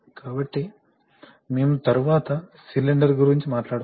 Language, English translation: Telugu, So, we can talk about the cylinder later